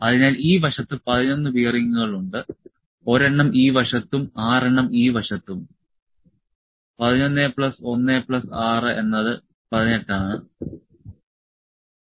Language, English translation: Malayalam, So, there are 11 bearings on this side, 1 on this side and 6 on this side; 11 plus 1 plus 6 is 18